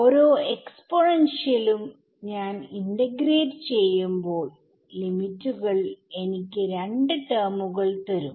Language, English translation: Malayalam, Four terms each exponential when I integrate, I will get an exponential the two the limits will give me two terms